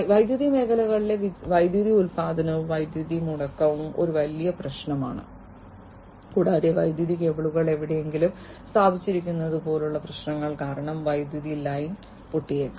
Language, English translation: Malayalam, Power production in the power sector, as well outage, power outage, is a huge problem and because of this what might happen, that power outage might happen, because of you know, issue such as somewhere where the power cables are installed the power line might be broken